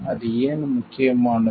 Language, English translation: Tamil, Why it is important